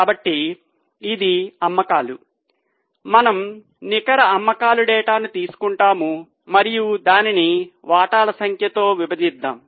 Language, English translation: Telugu, So we will take the data of net sales and let us divide it by number of shares